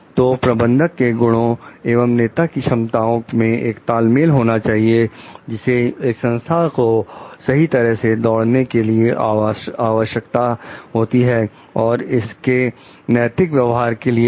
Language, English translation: Hindi, So, a balance of both managerial skills and leadership competency is required for leading a organization for running an organizer in a proper way and more so for ethical conducts too